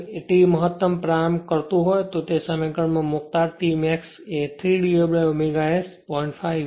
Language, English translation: Gujarati, So, and T starting maximum if you put in that expression T max will be 3 upon omega S 0